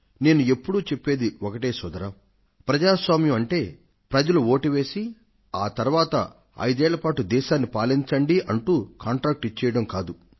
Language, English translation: Telugu, I always stress that Democracy doesn't merely mean that people vote for you and give you the contract to run this country for five years